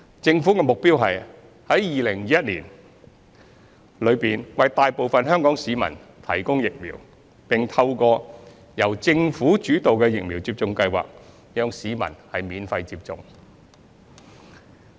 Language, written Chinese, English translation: Cantonese, 政府的目標是在2021年內為大部分香港市民提供疫苗，並透過由政府主導的疫苗接種計劃讓市民免費接種。, The Governments goal is to provide vaccines free of charge for the majority of Hong Kong residents within 2021 through a vaccination programme led by the Government